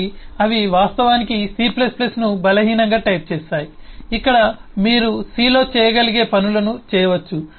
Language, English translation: Telugu, so those actually make c plus plus, also weakly typed, where you can do things that you could do in c